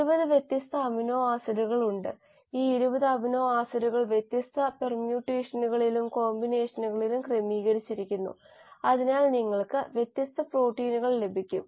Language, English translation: Malayalam, There are 20 different amino acids and these 20 amino acids arranged in different permutations and combinations because of which you get different proteins